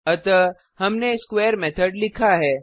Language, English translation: Hindi, So we have written a square method